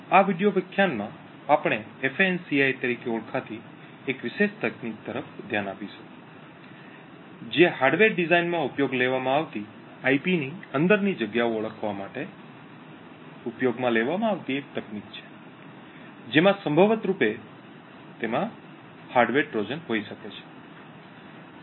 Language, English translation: Gujarati, In this video lecture we will be looking at a particular technique known as FANCI, which is a technique used to identify locations within IP used in a hardware design which could potentially have a hardware Trojan present in it